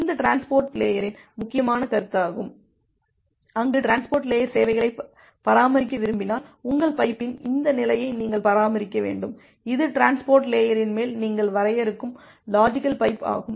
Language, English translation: Tamil, So, this is an important concept with the concept of this transport layer, where if you want to maintain transport layer services you need to maintain this state of your pipe, logical pipe that you are defining on top of the transport layer